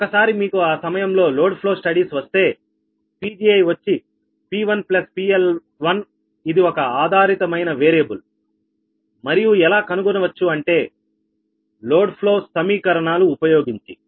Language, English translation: Telugu, but once you get the lower cost studies, at that time that p one, that pg one should be p one plus pl one is a dependent variable, right, and found by solving the load flow equations